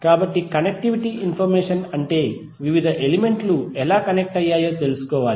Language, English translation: Telugu, So connectivity information means you need to find out how the various elements are connected